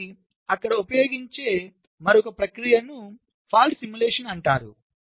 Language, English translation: Telugu, so there is another process, is called fault simulation, which is used there